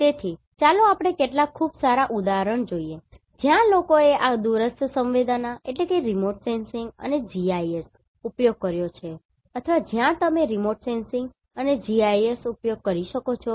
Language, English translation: Gujarati, So, let us see some of the very good example where people have used this remote sensing and GIS or where you can use remote sensing and GIS